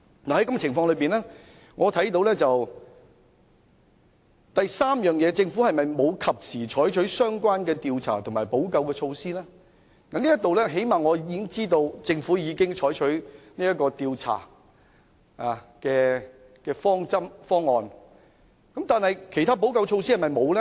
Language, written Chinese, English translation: Cantonese, 在這樣的情況之下，就第三方面，政府有否及時採取相關調查及補救措施？我最低限度知道政府已經採取調查的方案，但是否沒有做其他補救措施？, Under such circumstances regarding the third point on whether the Government has conducted investigations and taken remedial measures in a timely manner at least I know that the Government has proposed to conduct an investigation . Has the Government not taken other remedial measures?